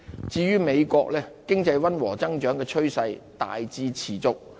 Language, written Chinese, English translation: Cantonese, 至於美國，經濟溫和增長的趨勢大致持續。, The United States largely maintains a mild economic growth